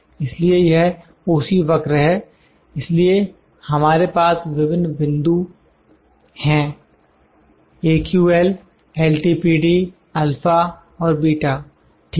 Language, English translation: Hindi, So, this is OC curve so we have various points here, AQL, LTPD, alpha and beta, it is, ok